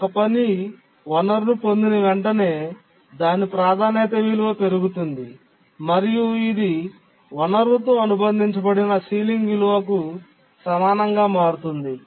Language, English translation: Telugu, That as soon as a task acquires the resource, its priority, becomes equal to the ceiling value associated with the resource